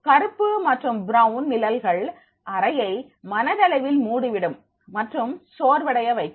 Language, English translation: Tamil, Blakes and brown shades will close the room in psychologically and becoming fatiguing